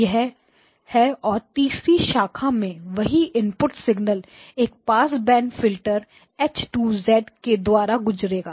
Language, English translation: Hindi, This is X0 tilde of n and the third branch same input signal pass it through a bandpass filter H2 of z